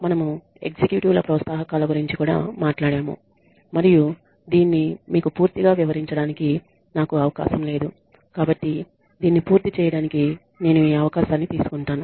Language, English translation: Telugu, We also talked about incentives for executives and I did not have a chance to explain this fully to you so I will take this opportunity to finish this